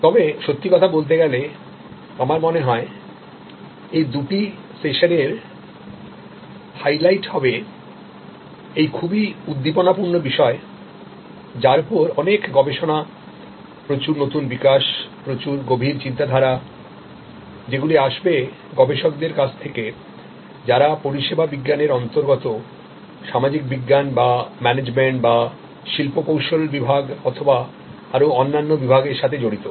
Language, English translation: Bengali, But, really speaking I think the highlight of these two sessions will be this exciting new area of lot of research, lot of new developments and lot of insights that are being contributed by researcher from social science, from management, from industrial engineering and from different other disciplines in the domain of service science